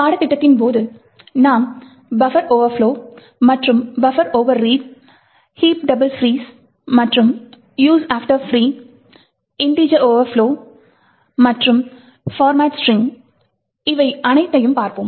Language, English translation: Tamil, So, we will be looking at during the course at buffer overflows and buffer overreads, heaps double frees and use after free, integer overflows and format string